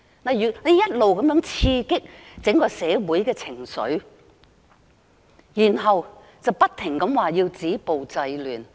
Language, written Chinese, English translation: Cantonese, 政府一直在刺激整個社會的情緒，然後又不停說要止暴制亂。, All along the Government has tried to incite the emotions of the entire community . Then it keeps talking about the need to stop violence and curb disorder